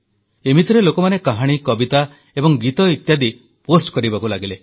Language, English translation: Odia, So, people started posting stories, poems and songs